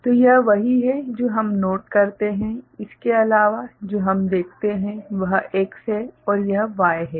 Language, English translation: Hindi, So, this is what we note ok, other than that what we see this is X and this is Y